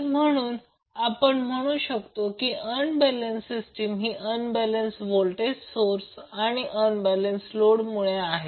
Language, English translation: Marathi, So therefore we can say that unbalanced system is due to unbalanced voltage sources or unbalanced load